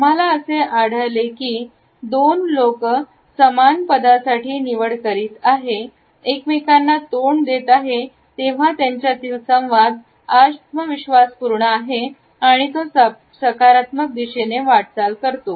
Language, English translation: Marathi, If we find two people opting for the same position and facing each other the dialogue is confident and yet it moves in a positive direction